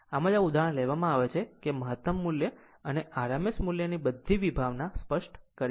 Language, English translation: Gujarati, So, that is why this example is taken such that maximum value and rms value all the concept our concept will be clear